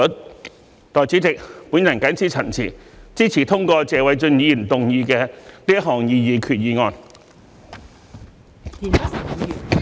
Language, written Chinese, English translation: Cantonese, 代理主席，我謹此陳辭，支持通過謝偉俊議員動議的擬議決議案。, With these remarks Deputy President I support the passage of the proposed resolution moved by Mr Paul TSE